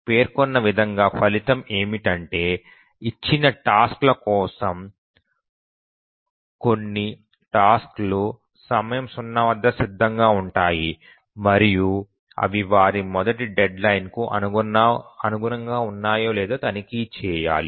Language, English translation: Telugu, So, the result as it is stated is that we consider for a given task set all tasks become ready at time zero and we just need to check whether they meet their fast deadlines